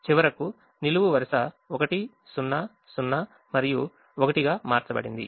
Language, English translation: Telugu, the last column has changed to one: zero, zero and one